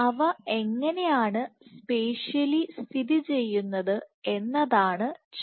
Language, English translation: Malayalam, So, the question is how are they spatially located